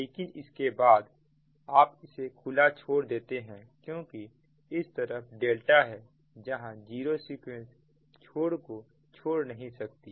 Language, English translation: Hindi, but after that this you leave open because this side delta, that zero sequence cannot leave the delta terminal